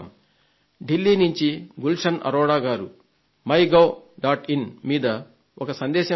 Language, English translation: Telugu, Gulshan Arora from Delhi has left a message on MyGov